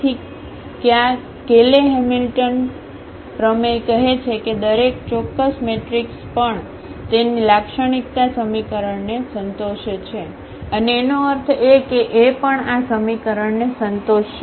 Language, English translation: Gujarati, So, that this Cayley Hamilton theorem says that every square matrix also satisfies its characteristic equation and that means, that A will also satisfy this equation